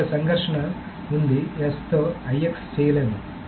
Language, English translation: Telugu, S with IX cannot be done